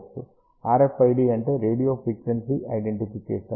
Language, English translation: Telugu, RFID stands for radio frequency identification